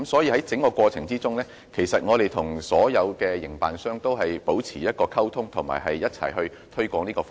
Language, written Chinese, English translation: Cantonese, 在整個過程中，我們與所有營辦商都一直保持溝通及一起推廣這項服務。, All along we have continued to liaise with all the operators and joined hands with them in promoting DAB services